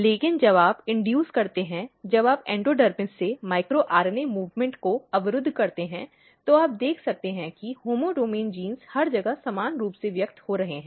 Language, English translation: Hindi, But when you induce when you block the micro RNA movement from endodermis, you can see that homeodomain genes are getting expressed everywhere uniformly